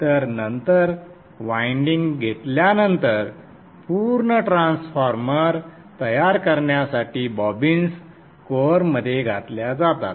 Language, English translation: Marathi, So then after winding the bobbins are inserted into the core to form a completed transformer